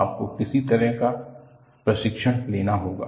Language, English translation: Hindi, You will have to have some kind of training